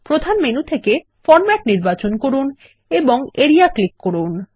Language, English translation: Bengali, From the Main menu, select Format and click Area